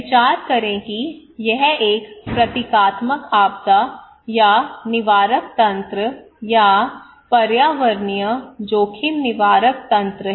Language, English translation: Hindi, But let us focus, consider that this is a symbolic disaster or preventive mechanism or environmental risk preventive mechanism